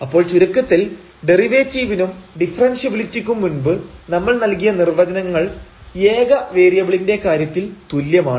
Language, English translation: Malayalam, So, the conclusion is that the both the definition what we have given earlier the derivative and the differentiability they are basically the same in case of the single variable